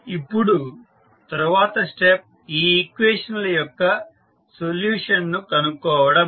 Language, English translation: Telugu, Now, the next step is the finding out the solution of these equation